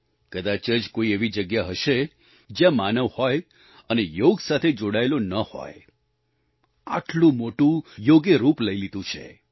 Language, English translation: Gujarati, There must hardly be a place where a human being exists without a bond with Yoga; Yoga has assumed such an iconic form